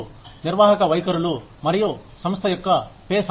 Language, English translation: Telugu, Managerial attitudes, and an organization's ability, to pay